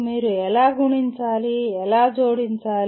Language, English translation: Telugu, How do you multiply, how do you add